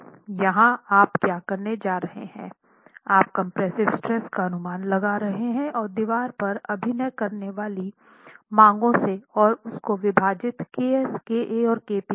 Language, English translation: Hindi, Here what you are going to do is you are making an estimate of the compressive stress from the demands acting on the wall and divide that by KA, KP and KS